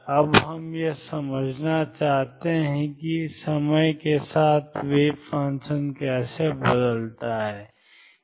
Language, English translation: Hindi, Now what we want to understand is how wave function changes with time